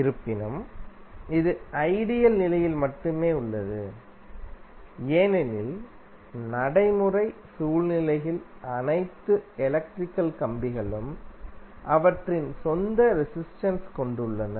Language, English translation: Tamil, So, that is basically the ideal condition, because in practical scenario all electrical wires have their own resistance